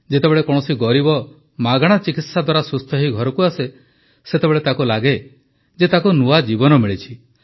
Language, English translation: Odia, When the poor come home healthy with free treatment, they feel that they have got a new life